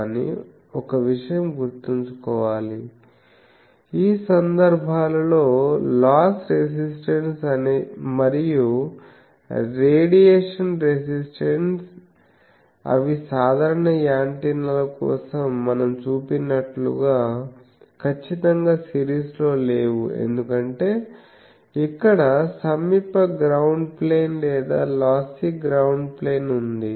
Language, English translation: Telugu, But one thing should be remember that these in these cases the loss resistance and the radiation resistance they are not exactly in series as we have seen for simple antennas, because, here there is a nearby ground plane or a lossy ground plane